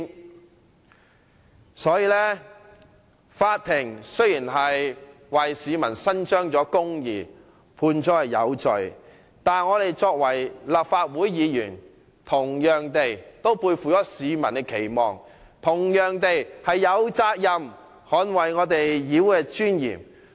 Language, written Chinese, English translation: Cantonese, 因此，法庭雖然已為市民伸張公義，判鄭松泰有罪，但我們作為立法會議員，同樣背負市民的期望，同樣有責任捍衞立法會的尊嚴。, Therefore despite the fact that the Court has already upheld justice on behalf of the people and convicted CHENG Chung - tai we as Members of the Legislative Council who similarly carry expectations of the people on our shoulders have the similar responsibility of defending the dignity of the Legislative Council